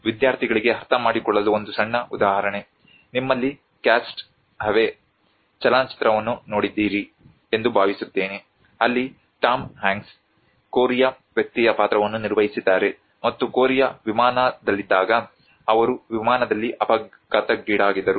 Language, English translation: Kannada, A small example for the students to understand I hope many of you have seen the movie of Cast Away, where Tom Hanks played a role of a Korea person and he met with an accident in the flight while in the Korea flight